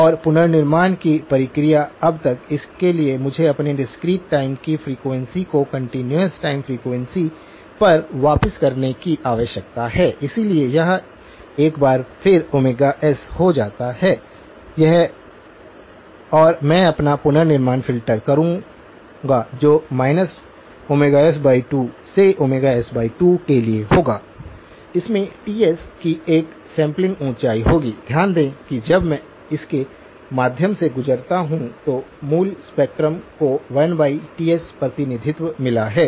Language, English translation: Hindi, And the reconstruction process so now, for that I need to remap my discrete time frequency back to the continuous time frequency, so this becomes omega s once more, this and I will do my reconstruction filter which would be from minus omega s by 2 to omega s by 2, it will have a sample height of Ts, notice that the original spectrum has got 1 over Ts representation when I pass it through this